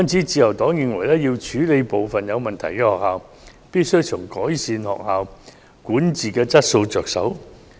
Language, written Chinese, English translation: Cantonese, 自由黨認為要處理部分有問題的學校，必須從改善學校管治質素着手。, The Liberal Party believes that to deal with some schools having problems we must start with improving the quality of school governance